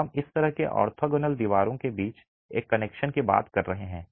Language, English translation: Hindi, So, we are talking of this sort of a connection between the orthogonal walls